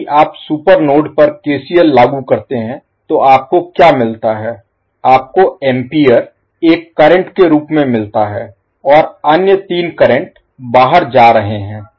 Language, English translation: Hindi, So if you apply KCL at the super node, so what you get, you get ampere as a current going inside and other 3 currents are going out